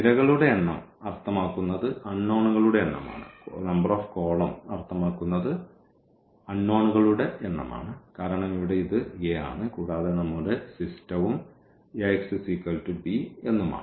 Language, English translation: Malayalam, So, the number of columns means the number of unknowns because here this is A and we have our system this Ax is equal to is equal to b